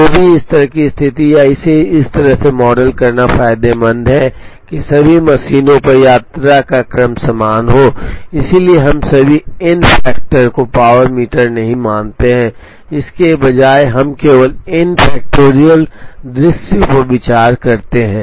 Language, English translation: Hindi, So, it is advantageous to have a situation or to model it in such a manner that the sequence of visit is the same on all the machines therefore, we do not consider all the n factorial to the power m; instead we consider only n factorial sequences